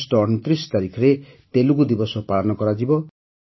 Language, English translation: Odia, 29 August will be celebrated as Telugu Day